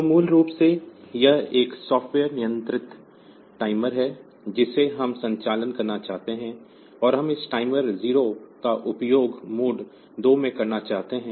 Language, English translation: Hindi, So, basically it is a soft software controlled timer that we want to operate, and we want to use this timer 0 in mode 2